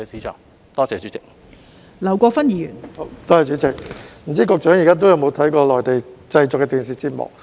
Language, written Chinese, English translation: Cantonese, 代理主席，我不知道局長現時有否收看內地製作的電視節目。, Deputy President I do not know whether the Secretary watches Mainland - produced TV programmes now